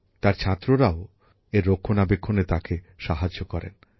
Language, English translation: Bengali, His students also help him in their maintenance